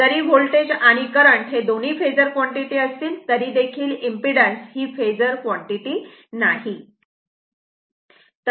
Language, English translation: Marathi, If voltage and current both are phasor quantity, but Z is not a impedance, it is not a phasor quantity right